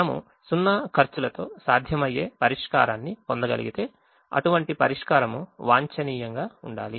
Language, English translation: Telugu, if we are able to get a feasible solution with zero cost, then such a solution has to be optimum